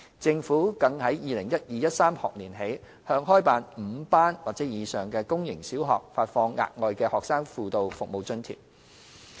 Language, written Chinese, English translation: Cantonese, 政府更由 2012-2013 學年起向開辦5班或以上的公營小學發放額外的"學生輔導服務津貼"。, The Government has provided a top - up Student Guidance Service Grant to public sector primary schools with five or more operating classes starting from the 2012 - 2013 school year